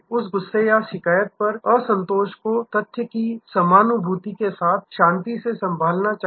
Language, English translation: Hindi, That anger or that dissatisfaction at the complaint should be handle calmly, matter of fact with empathy